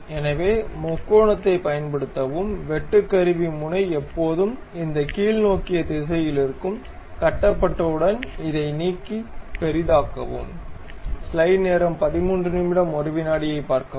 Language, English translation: Tamil, So, use triangle, tool bit always be in this downward direction, constructed remove this one, zoom in